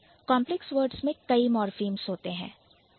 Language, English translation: Hindi, Complex words will have multiple morphemes